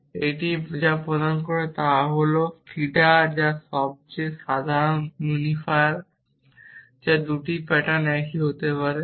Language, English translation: Bengali, And what it returns is the theta which is the most general unifier which can may the 2 patterns same